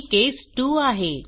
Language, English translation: Marathi, This is case 2